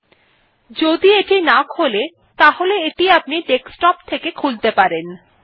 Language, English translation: Bengali, If it doesnt open, you can access it from the desktop